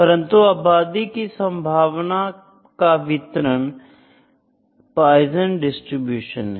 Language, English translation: Hindi, But the population is the probability distribution Poisson distribution